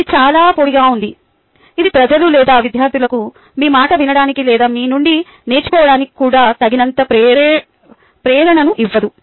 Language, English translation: Telugu, it doesnt provide people or students with enough motivation to either listen to you or even learn that from you